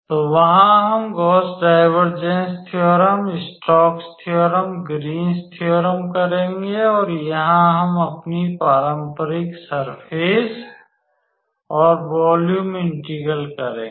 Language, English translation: Hindi, So, there we will say Gauss Divergence theorem, Stokes theorem, Greens theorem and here we will stick to our traditional surface and volume integrals